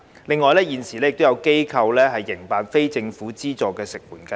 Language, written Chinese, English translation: Cantonese, 另外，現時有機構營辦非政府資助的食援服務。, Moreover some organizations currently operate non - government subsidized food assistance service